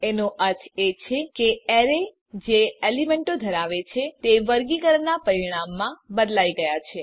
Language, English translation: Gujarati, It means that the array which contains the elements is changed as a result of sorting